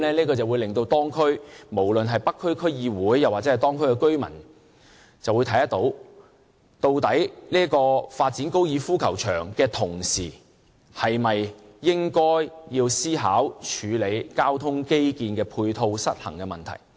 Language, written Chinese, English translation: Cantonese, 這樣會令無論是北區區議會或當區居民看到，究竟發展高爾夫球場的同時，是否應該要思考處理交通基建的配套失衡問題。, What will this approach lead us to? . The North District Council or the residents of that district will think whether the Government should during the time when the site of the Fanling Golf Course is being developed consider dealing with the imbalance of transport infrastructural supporting facilities at that area